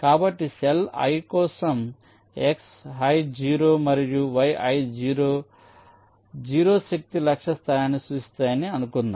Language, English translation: Telugu, so, ah, for the cell i, lets assume that x, i zero and yi zero will represents the zero force target location